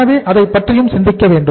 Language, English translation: Tamil, So we will have to think about that also